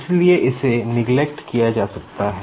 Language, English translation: Hindi, So, this can be neglected